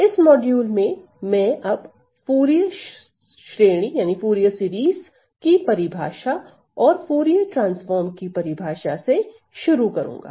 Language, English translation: Hindi, So, in this module, I am going to start with the definition of Fourier series and the definition of Fourier transform